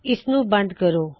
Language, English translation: Punjabi, Let me close this